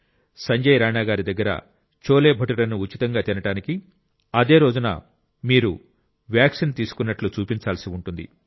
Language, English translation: Telugu, To eat Sanjay Rana ji'scholebhature for free, you have to show that you have got the vaccine administered on the very day